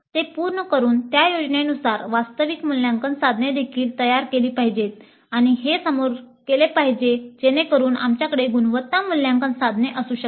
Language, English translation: Marathi, Having done that, the actual assessment instruments according to that plan must also be designed and this must be done upfront so that we can have quality assessment instruments